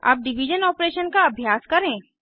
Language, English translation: Hindi, Let us try the division operator